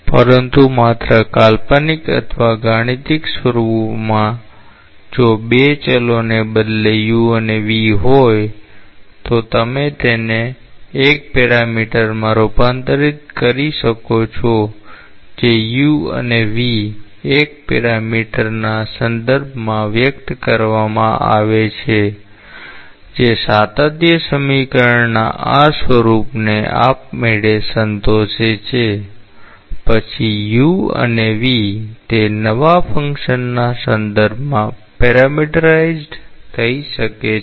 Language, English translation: Gujarati, But just in a notional or a mathematical form if instead of the 2 variables u and v; you could transform into a single parameter that is expressed u and v in terms of a single parameter, that satisfies automatically this form of the continuity equation; then u and v may be parametrized with respect to that new function